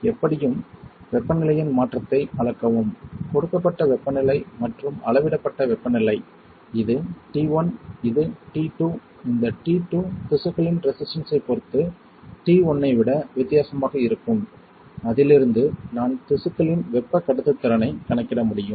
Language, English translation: Tamil, Anyway measure the change in the temperature the given temperature and the measured temperature this is t 1 this is t 2 this t 2 would be different than t 1 depending on the resistance of the tissue, from that I can calculate thermal conductivity of the tissue